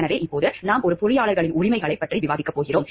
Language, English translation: Tamil, So, now we are going to discuss about the rights of a of an engineer